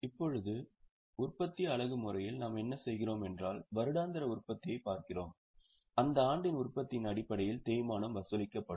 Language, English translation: Tamil, Now in production unit method what we are doing is we are looking at the annual production and the depreciation will be charged based on the production in that year